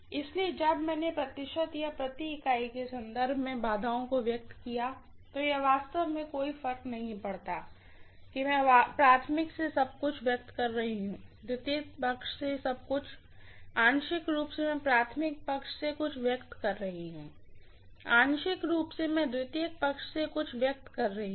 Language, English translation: Hindi, So when I expressed the impedances in terms of percentages or per unit, it really does not matter whether I am expressing everything from the primary side, everything from the secondary side, partially I am expressing something from the primary side, partially I am expressing something from the secondary side